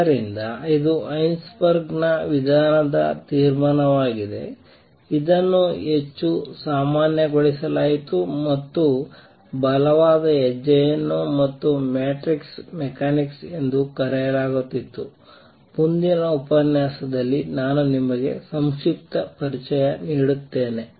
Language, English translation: Kannada, So, this is the conclusion of Heisenberg’s approach, this was made more general and put on a stronger footing and something called the matrix mechanics, to which I will just give you a brief introduction in the next lecture